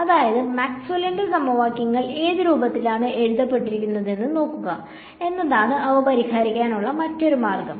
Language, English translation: Malayalam, So, the other way of solving them is by looking at what form in which Maxwell’s equations are written